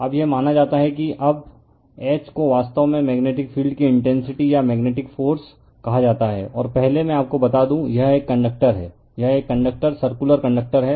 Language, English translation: Hindi, Now, this is suppose here now H is actually called magnetic field intensity or magnetic force, and first let me tell you, this is a conductor right, this is a conductor circular conductor